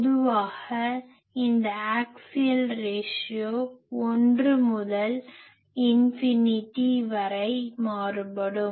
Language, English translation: Tamil, And generally this axial ratio will vary from 1 to infinity